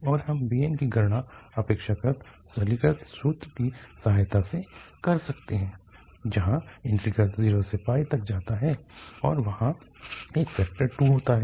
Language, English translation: Hindi, And the bn we can compute with this help of other simplified formula, with where the integral goes from 0 to pi and there is a factor 2 there